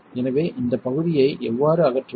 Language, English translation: Tamil, So, how do you remove this piece